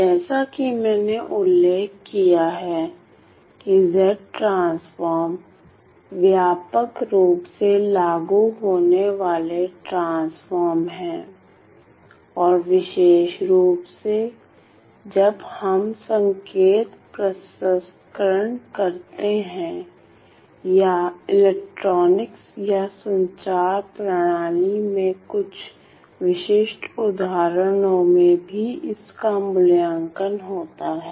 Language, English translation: Hindi, As I have mentioned Z transforms are widely applicable transforms and specifically in when we have to evaluate some test cases in signal processing or some specific examples in electronics and communication systems